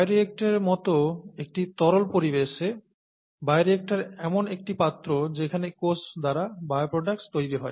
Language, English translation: Bengali, In a fluid environment such as a bioreactor; bioreactor is a vessel in which bioproducts are made by cells